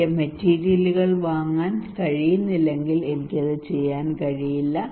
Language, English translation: Malayalam, If the materials I cannot buy I cannot do it